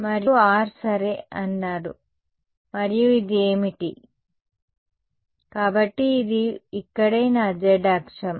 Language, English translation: Telugu, And the R is going to be ok, and what is this, so this is my z axis over here right